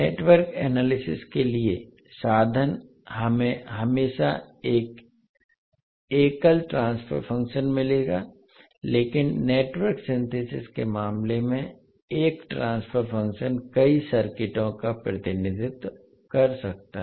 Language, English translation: Hindi, Means for Network Analysis we will always get one single transfer function but in case of Network Synthesis one transfer function can represent multiple circuits